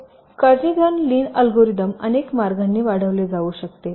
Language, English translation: Marathi, now this kernighan lin algorithm can be extended in several ways